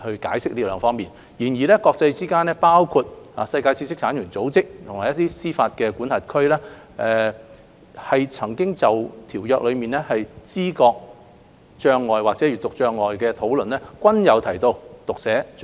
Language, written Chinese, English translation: Cantonese, 然而，國際間包括世界知識產權組織和一些司法管轄區就《馬拉喀什條約》中知覺障礙或閱讀障礙的討論，均有提及讀寫障礙。, However when perceptual or reading disability under the Marrakesh Treaty was discussed by international organizations such as the World Intellectual Property Organization and some jurisdictions dyslexia was also mentioned